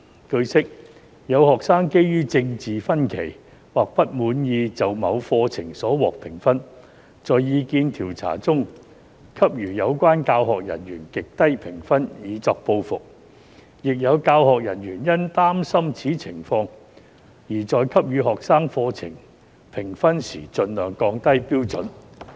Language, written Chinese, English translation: Cantonese, 據悉，有學生基於政見分歧或不滿意就某課程所獲評分，在意見調查中給予有關教學人員極低評分以作報復，亦有教學人員因擔心此情況而在給予學生課程評分時盡量降低標準。, It is learnt that due to differences in political opinions or dissatisfaction with the scores received for a course some students gave in retaliation the teaching staff concerned extremely low scores in such surveys and some teaching staff being apprehensive about such a situation lowered the standards as far as possible when giving students scores for courses